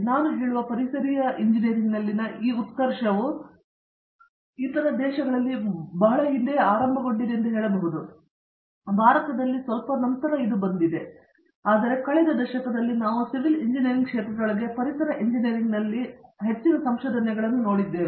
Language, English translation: Kannada, This boom in environmental engineering I would say started of long back in other countries, in India may be much later, but in the past decade we have seen so much of research in environmental engineering within the realm of civil engineering